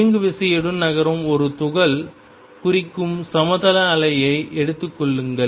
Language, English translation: Tamil, Take the plane waves which represent a particle moving with momentum p